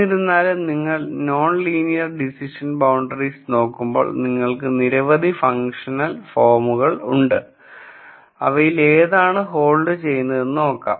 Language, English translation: Malayalam, However, when you look at non linear decision boundaries, there are many many functional forms that you can look at and then see which one holds